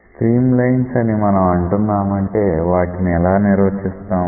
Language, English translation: Telugu, So, when we say stream lines, how do we define stream lines